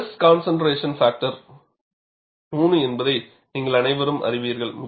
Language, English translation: Tamil, All of you know that the stress concentration factor is 3